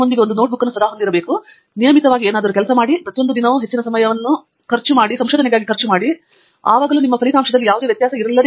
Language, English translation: Kannada, You have to have a notebook with you, keep noting down, work on something, very regularly, every single day, more time is spent on something, more results you will get, absolutely no difference